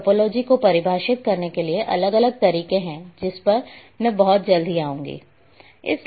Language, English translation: Hindi, And there are different ways of defining topology which I will come very soon